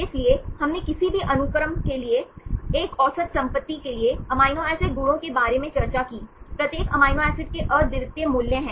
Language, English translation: Hindi, So, also we discussed about the amino acid properties for a average property for any given sequence, each amino acid have the unique values